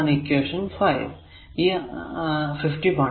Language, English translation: Malayalam, So, that is equation 53